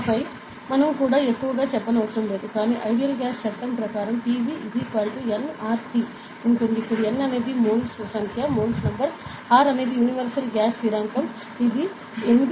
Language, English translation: Telugu, And then we also need not mention much, but ideal gas law is there that is PV is equal to n R T; where N is the number of moles, R is the universal gas constant which is equal to 8